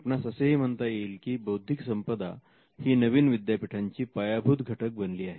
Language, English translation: Marathi, You can say that intellectual property is the foundation of the new university